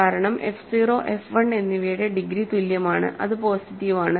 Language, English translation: Malayalam, So, degree of f 1 is positive, degree of f 0 is positive